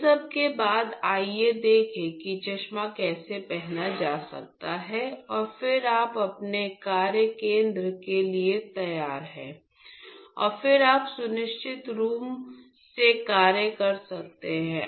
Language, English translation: Hindi, So, following all this let see how the glass, the glasses could be wore and then you are ready for your workstation and then you can go on working safely